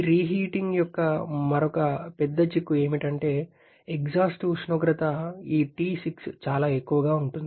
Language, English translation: Telugu, And another big implication of this reheating is that the exhaust temperature, this T6 is much higher